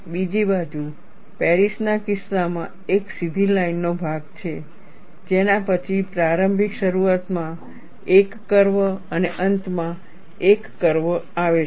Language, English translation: Gujarati, On the other hand, in the case of Paris, there is a straight line portion followed by one curve at the initial start and one curve at the end